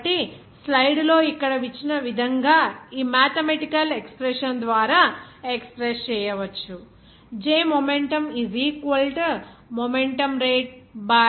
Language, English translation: Telugu, So, it can be expressed by this mathematical expression as given here in the slide